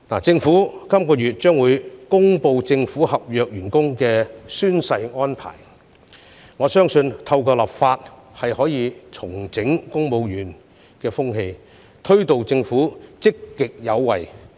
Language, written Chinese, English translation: Cantonese, 政府將會在本月公布政府合約員工的宣誓安排，我相信透過立法可以重整公務員風氣，推動政府積極有為。, The Government will announce the oath - taking arrangement for its contract staff by the end of this month . I believe the enactment of legislation will help transform the culture of civil service and make the Government more proactive